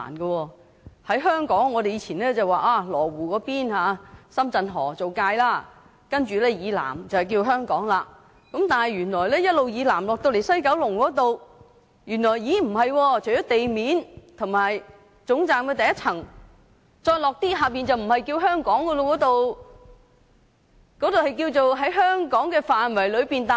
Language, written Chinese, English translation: Cantonese, 在香港，我們過往以羅湖的深圳河為界線，深圳河以南為香港，但原來一直南下到了西九龍站，除了地面及總站的第一層外，下面的部分便不叫做香港了。, In Hong Kong in the past the Shenzhen River at Lo Wu was used as the boundary and the area south of Shenzhen River belongs to Hong Kong . However it turns out that if we go south all the way to WKS apart from the ground floor and the first floor of the terminus the parts underneath are no longer called Hong Kong